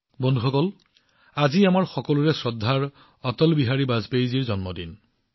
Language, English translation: Assamese, Friends, today is also the birthday of our respected Atal Bihari Vajpayee ji